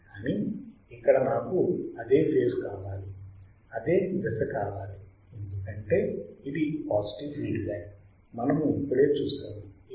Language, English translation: Telugu, But here I want same phase here I want same phase because it is a positive feedback , we have just seen